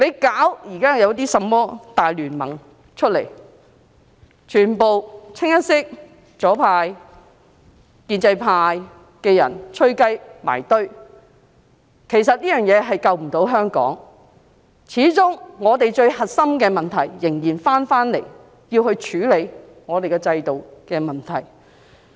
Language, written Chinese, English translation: Cantonese, 現在成立的甚麼大聯盟，全部清一色由左派、建制派的人"吹雞"組成，其實這樣無法救香港，始終我們最核心的問題，仍然是要處理我們的制度問題。, The establishment of the so - called alliance is initiated by leftists and members from the pro - establishment camp . Actually Hong Kong cannot be saved in this way . After all the core issue is the problems with our system which must be dealt with